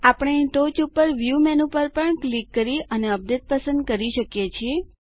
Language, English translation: Gujarati, We can also click on the View menu at the top and choose Update